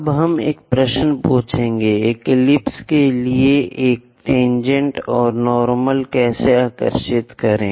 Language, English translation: Hindi, Now, we will ask a question how to draw a tangent and normal to an ellipse